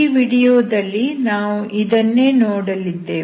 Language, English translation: Kannada, So this is what we will see in this video